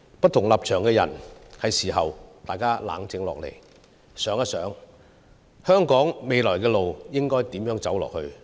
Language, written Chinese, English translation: Cantonese, 不同立場的人是時候冷靜下來，想一想香港未來的路應如何走下去。, It is time that people of different stances should calm down and think about the way forward for Hong Kong